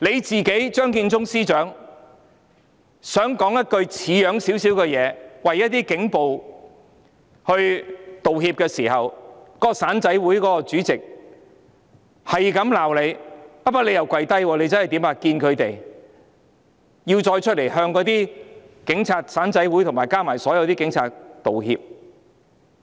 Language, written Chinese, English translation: Cantonese, 在張建宗司長想說一句像樣的說話，為警暴道歉時，那個"散仔會"的主席不停地罵司長，不過司長又真的"跪低"，前去與他們會面，並再露面向警務處、"散仔會"和所有警察道歉。, When Chief Secretary Matthew CHEUNG wanted to say something proper to apologize for police brutality on behalf of the Police that Chairman of that rank - and - file police officers association kept scolding the Chief Secretary for Administration who really caved in by having a meeting with them then appeared afterwards to apologize to the Hong Kong Police Force the rank - and - file police officers association and all police officers